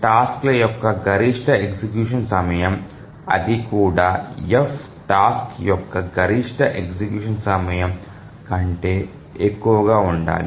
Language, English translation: Telugu, So the maximum execution time of the tasks even that the F should be greater than even the maximum execution time of a task